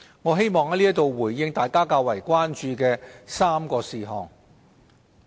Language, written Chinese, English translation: Cantonese, 我希望在此回應大家較為關注的3個事項。, I would like to hereby respond to three matters that are of concern to Members